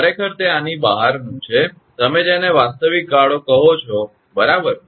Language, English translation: Gujarati, Actually it is outside the, you are what you call actual span right